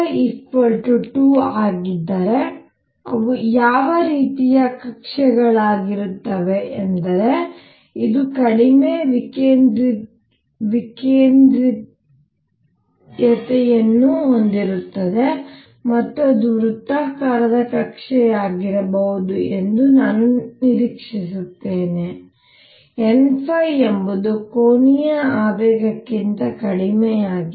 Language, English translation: Kannada, Now, what kind of orbits would they be if n phi is 2, I would expect this to have less eccentricities and that could be a circular orbit; n phi is one that is less of an angular momentum